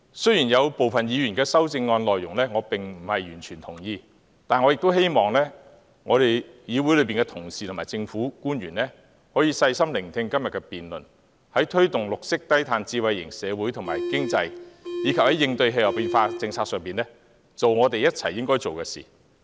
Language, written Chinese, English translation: Cantonese, 雖然我並不完全同意部分議員的修正案，但我亦希望議會同事及政府官員可以細心聆聽今天的辯論，在推動綠色低碳智慧型社會及經濟，以及在應對氣候變化政策上，一起去做所應做的事。, While I do not entirely agree with the amendments of certain Members I hope our colleagues and government officials can listen carefully to the debate today and join hands to do what we should do concerning the promotion of a green and low - carbon smart society and economy and the policy on coping with climate change